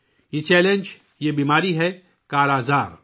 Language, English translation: Urdu, This challenge, this disease is 'Kala Azar'